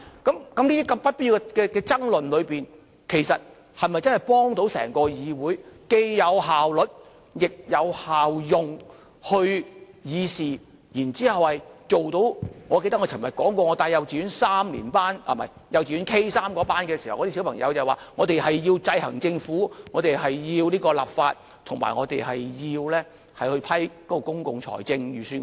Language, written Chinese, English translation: Cantonese, 這些不必要的爭論，其實是否真的幫到整個議會，既有效率，亦有效用去議事，然後做到——我記得我昨天說過，我帶着幼稚園 K3 團體參觀時，小朋友問如何制衡政府，如何立法，以及如何審批公共財政預算案？, They considered that he should not preside the meeting . Have these unnecessary arguments really help the legislature to enhance its efficiency and effectiveness in dealing with its businesses? . Can we achieve what the grade 3 kindergarten students asked me during the Guided Educational Tour yesterday which I can still recall now namely how we exercise checks and balances on the Government how we enact laws and how we approve public expenditure and budgets?